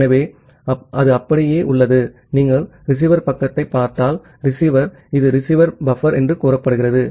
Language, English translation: Tamil, So, it is just like that, if you look into the receiver side, the receiver this is the receiver buffer say, this is the receiver buffer